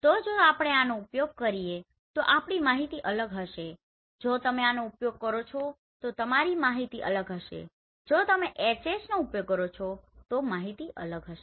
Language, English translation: Gujarati, So if we use this our information will be different if you use this our information will be different if you use HH our information will be different